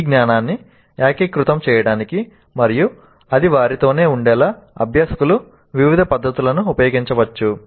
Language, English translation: Telugu, Learners can use a variety of techniques to integrate this knowledge and to ensure that it stays with them